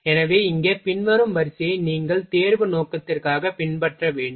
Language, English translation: Tamil, So, here following sequence you will have to follow for examination purpose